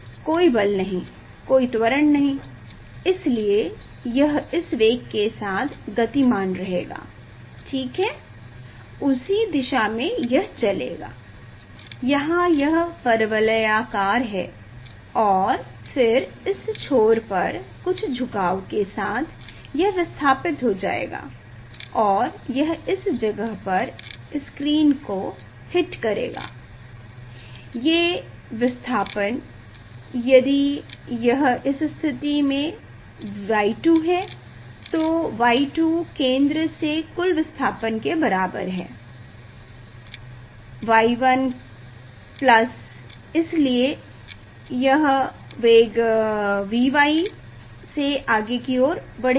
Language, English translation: Hindi, no force, no acceleration, so it will move with this velocity ok, in the same direction it will move ok; here it is parabolic and then with this slope at this end this with this slope it will move, and it will hit the screen at this place, these displacement if it is Y 2 from this position Y 2 is equal to total displacement from the centre, y 1 y 1 y 1 plus, so it will move with velocity V to V y